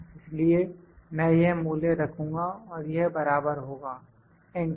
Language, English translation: Hindi, So, I will put this value as, this is equal to enter, so, this value